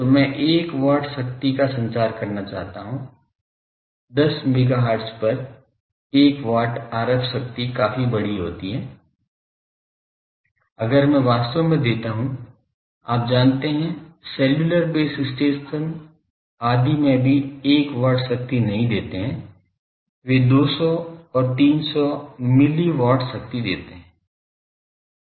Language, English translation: Hindi, So, I want to transmit 1 watt, 1 watt of power is sizable RF power so, at 10 megahertz 1 watt power, if I give actually the you know in cellular base station etc, they even 1 watt of power also they do not give they give 200 and300 mill watt power